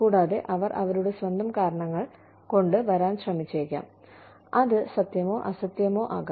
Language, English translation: Malayalam, And, they may try to come up with their own reasons, which may, or may not be true